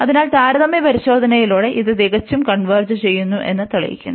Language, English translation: Malayalam, And by the comparison test, we can again conclude that this also converges absolutely